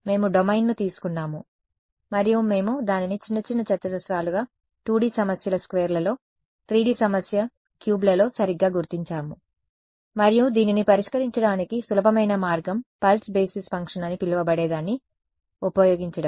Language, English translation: Telugu, We took a domain and we discretized it into little little squares, in a 2D problems squares, in a 3D problem cubes right and the simplest way to solve this was using what is called a pulse basis function